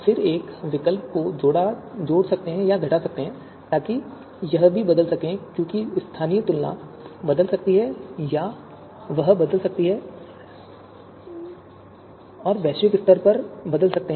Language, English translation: Hindi, And then addition or subtraction of an alternative, so that can also you know change this because local comparisons might change or it might change, it might get changed at the global level